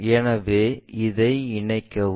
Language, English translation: Tamil, So, this is the combination